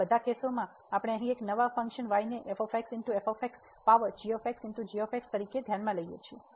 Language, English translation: Gujarati, In all these cases we consider a new function here y as power this one